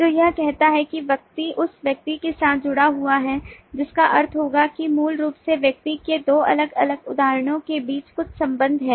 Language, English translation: Hindi, so it says that person is associated with person, which will mean that basically there is some relationship between two different instances of the person